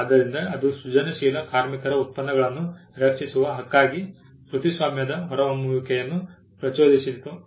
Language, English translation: Kannada, So, that itself triggered the emergence of copyright as a right to protect the products of creative labour